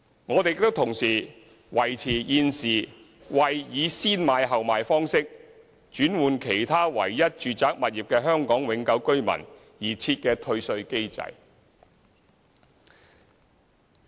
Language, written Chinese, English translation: Cantonese, 我們亦同時維持現時為以"先買後賣"方式轉換其唯一住宅物業的香港永久性居民而設的退稅機制。, We also propose to maintain the refund mechanism provided for an HKPR who acquires a new residential property before disposing of hisher only original residential property